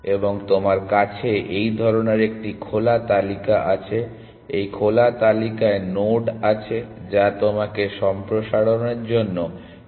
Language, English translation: Bengali, And you have some kind of a open list, and there are nodes on this open list which you have to pick a node from for expansion